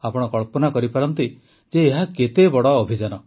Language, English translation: Odia, You can imagine how big the campaign is